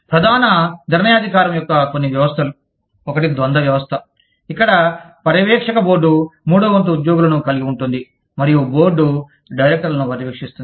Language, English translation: Telugu, Some systems of core decision making is, one is the dual system, where the supervisory board consists of one third employees, and supervises the board of directors